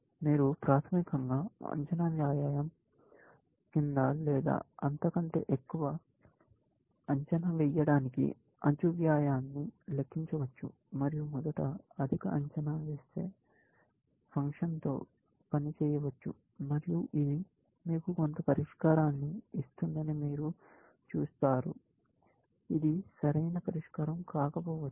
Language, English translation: Telugu, You can basically, manipulate the edge cost to make it of under estimating or over estimating, and first work with a over estimating function, and you will see, that it gives you some solution, which may not necessarily be the optimal solution